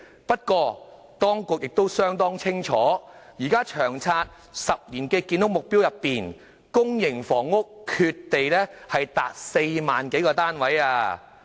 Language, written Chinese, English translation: Cantonese, 不過，當局亦相當清楚，在現時《長遠房屋策略》的10年建屋目標中，公營房屋缺地達4萬多個單位。, However the Secretary should be well aware that we still have a land supply shortfall for some 40 000 public housing units according to the ten - year housing supply target set under LTHS